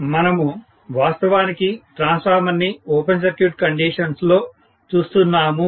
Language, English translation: Telugu, So, we are actually looking at the transformer under open circuit conditions